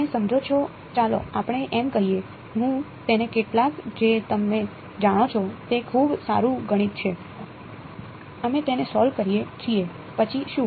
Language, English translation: Gujarati, You see the catch let us say, I solve it through some you know very good math we solve it then what